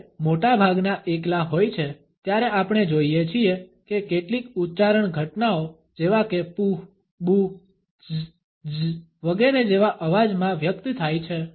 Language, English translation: Gujarati, While most are single, we find that some are articulated into phenome like sounds such as pooh, booh, tz tz etcetera